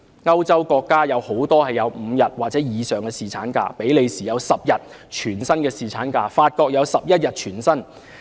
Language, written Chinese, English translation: Cantonese, 歐洲國家很多也有5天或以上的侍產假，比利時有10天全薪侍產假、法國有11天全薪侍產假。, Many European countries offer five days of paternal leave or more . In Belgium and France 10 days and 11 days of paternity leave with full pay are offered respectively